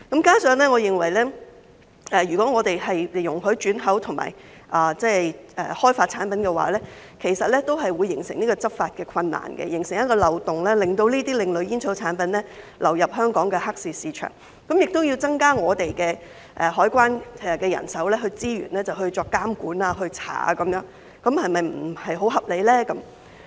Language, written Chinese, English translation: Cantonese, 加上我認為如果香港容許轉口和開發這類產品的話，其實會形成執法的困難，形成一個漏洞，令這些另類煙草產品流入香港的黑市市場，這樣便要增加香港海關的人手資源以作監管和調查，這是否不太合理呢？, In addition I think that difficulties in law enforcement will arise if Hong Kong allows the re - export and development of such products . A loophole would be created for these alternative tobacco products to flow into the black market in Hong Kong . Then the Customs and Excise Department should be provided with additional manpower resources to undertake the monitoring and investigation work